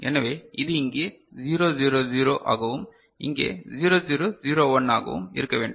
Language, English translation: Tamil, So, it should be 0 0 0 over here and 0 0 0 1 over here